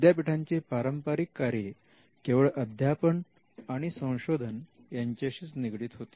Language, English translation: Marathi, The traditional functions of the university pertain to teaching and research